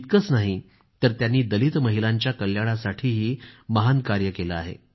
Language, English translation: Marathi, Not only this, she has done unprecedented work for the welfare of Dalit women too